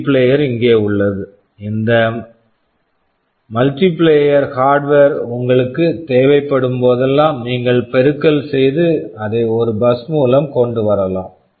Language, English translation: Tamil, The multiplier is sitting here; whenever you need this multiplier hardware you can multiply and bring it to the, a bus